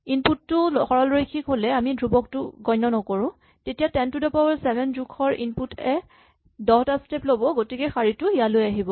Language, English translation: Assamese, Of course, if input is linear then we are ignoring the constant then the input of size 10 to the 7 will take 10, so this line comes here